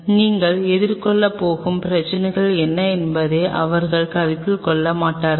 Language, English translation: Tamil, They will not consider at what are the problems you are going to face